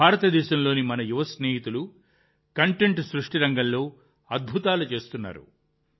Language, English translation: Telugu, Our young friends in India are doing wonders in the field of content creation